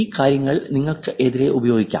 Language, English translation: Malayalam, These things can be used against you